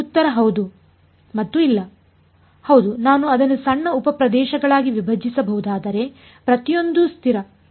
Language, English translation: Kannada, Well answer is yes and no yes, if I can break it up into small sub regions each of which is constant k